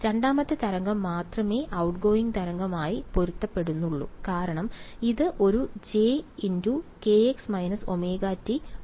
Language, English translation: Malayalam, Only the second wave corresponds to a outgoing wave because, it is a j k x minus omega t right and this one the other hand is